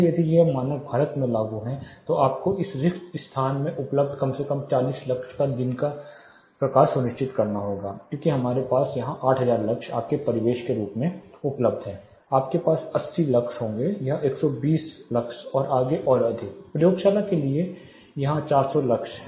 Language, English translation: Hindi, So, if you are if this standard in case if this standard is applicable in India you will have to ensure at least 40 lux of day light available in this spaces because we have 8000 lux as your ambient here, you will have 80 lux, this will be 120 lux and further high, around 400 lux here for the laboratory